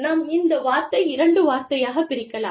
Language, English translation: Tamil, Let us split this word, into two words